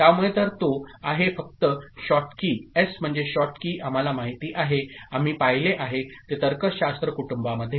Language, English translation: Marathi, So, if it is only Schottky, S for Schottky that we know, we have seen it in the logic family